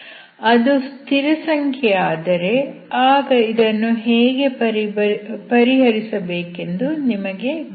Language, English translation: Kannada, If it becomes constant then you know how to solve this